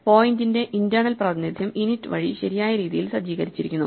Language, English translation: Malayalam, The internal representation of the point is set up in the correct way by init